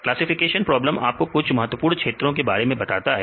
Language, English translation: Hindi, Classification problems will tell you some of the important areas